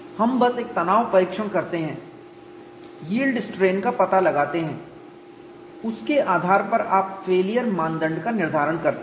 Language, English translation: Hindi, We simply perform one tension test, find out the yield strain on that you device the failure criteria